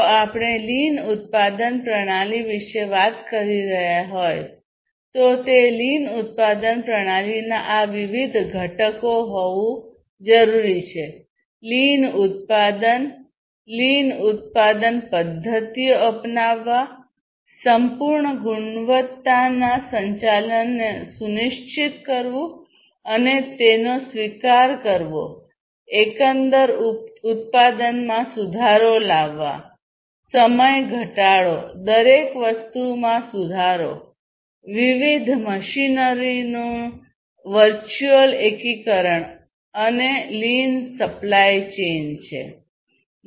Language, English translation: Gujarati, So, these are the different components of the lean production system, lean manufacturing, lean manufacturing, adopting lean manufacturing methods, ensuring total quality management, then adoption of it solutions to improve the overall production, reducing time improve improving upon everything in fact, virtual integration of different machinery, and so on, having a lean supply chain